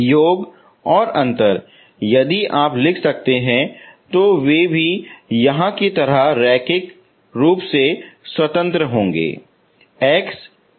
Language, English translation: Hindi, Sum and difference if you can write so they are also linearly independent just like here, okay